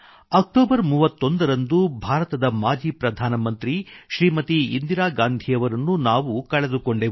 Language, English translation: Kannada, On the 31st of October we lost former Prime Minister of India, Smt